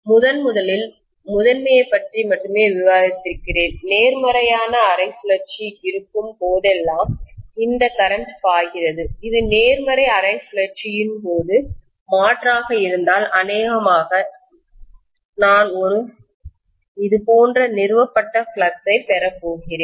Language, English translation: Tamil, Let me first of all discuss only about the primary, if this current is flowing, I am going to have probably whenever there is a positive half cycle, if it is an alternating during the positive half cycle, probably I am going to have a flux established like this